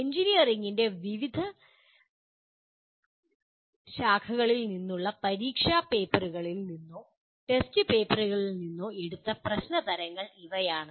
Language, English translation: Malayalam, These are the types of problems that taken from the examination papers or test papers from various branches of engineering